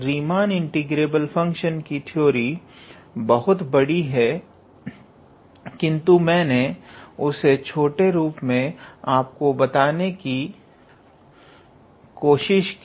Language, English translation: Hindi, The theory of Riemann integrable function is anyways too extensive, but I try to compressed it in a you know how to say shorter format